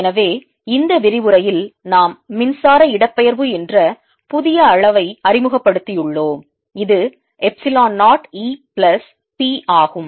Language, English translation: Tamil, so in this lecture we have introduced a new quantity called electric displacement, which is epsilon zero e plus p